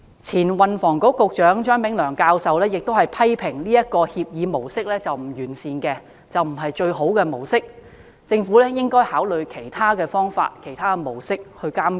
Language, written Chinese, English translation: Cantonese, 前運輸及房屋局局長張炳良教授亦批評這協議模式並不完善，並非最佳模式，政府應考慮以其他方法和模式監管。, Prof Anthony CHEUNG former Secretary for Transport and Housing also criticized the arrangement of entering into entrustment agreements for its deficiencies saying that the Government should consider adopting other monitoring approaches as it is not the optimal choice